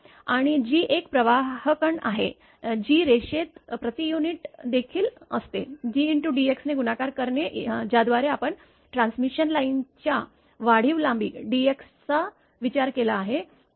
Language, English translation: Marathi, And G is the conductance that is also per unit of the line that is multiplied by dx we have consider incremental length dx of the transmission line